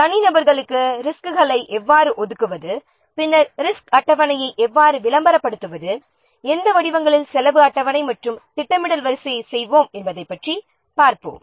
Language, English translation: Tamil, We will see about how to allocate resources to individuals, then how to publicize the resource schedules in what forms, then the cost schedules and what will the scheduling sequence